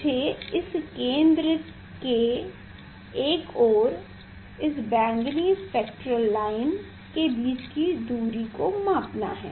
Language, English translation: Hindi, I have to measure the distance between this central one and the say this violet spectral line